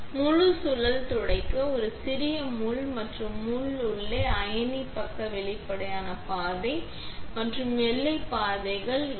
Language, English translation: Tamil, Here, wipe the entire spindle, also the small pin and the inside of the lid, never the ion side put both transparent path and the white paths